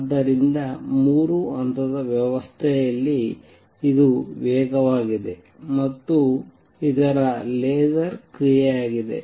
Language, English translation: Kannada, So, in a three level system this is fast and this is going to be laser action